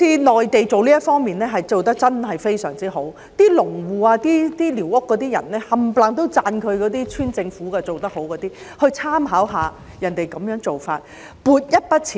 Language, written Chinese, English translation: Cantonese, 內地在這一方面真的做得非常好，農戶及寮屋居民都讚許村政府做得很好，香港政府可以參考內地的做法。, The Mainland has done very well in this aspect and both farmers and squatter residents also praise the local authorities . The Hong Kong Government can draw reference from the approach of the Mainland